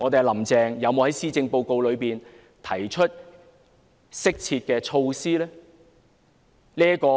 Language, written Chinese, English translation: Cantonese, "林鄭"有否在施政報告提出適切的措施呢？, Has Carrie LAM put forth proper measures in the Policy Address?